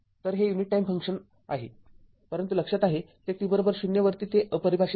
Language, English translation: Marathi, So, this is your unit time function, but remember at t is equal to 0 it is undefined right